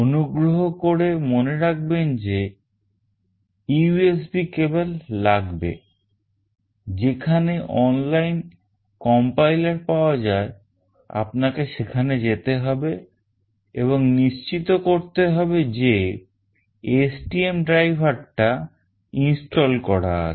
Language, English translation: Bengali, Please remember that you need the USB cable, you need to go here where you will have your online complier and you have to also make sure that the STM driver is installed